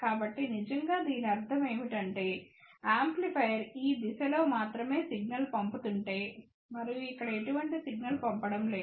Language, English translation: Telugu, So, what it really means is that if amplifier is only I am sending signal in this direction and not sending any signal over here